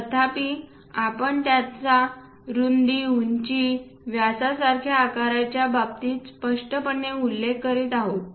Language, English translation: Marathi, Though we are clearly mentioning it in terms of size like width height diameter and so on